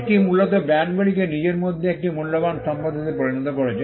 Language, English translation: Bengali, This essentially made the brands a valuable asset in itself